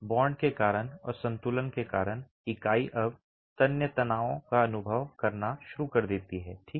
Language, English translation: Hindi, Because of the bond and because of equilibrium, the unit now starts experiencing tensile stresses